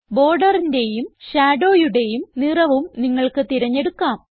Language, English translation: Malayalam, You can choose the colour of the border and the shadow as well